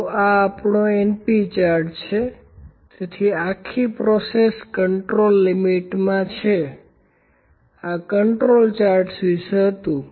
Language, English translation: Gujarati, So, this is our np chart, so the whole process is in control within the control limits, this was about the control charts